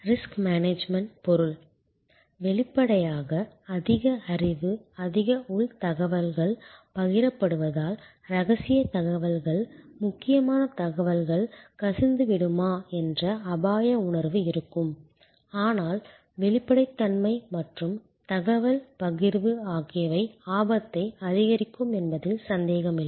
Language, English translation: Tamil, Risk management means; obviously, as more knowledge, more internal information will be shared there will be a sense of risk that whether confidential information, whether critical information will leak out, but we find that the transparency and the sharing of information, no doubt increases the risk